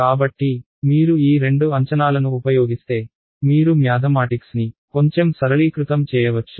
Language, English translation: Telugu, So, if you use these two assumptions you can simplify your mathematics a little bit more